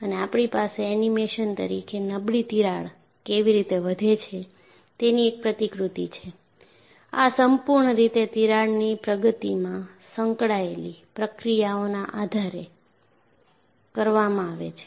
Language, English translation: Gujarati, And we have a model of how does a fatigue crack grow as an animation, and this is purely done based on the kind of processes that are involved in advancement of the crack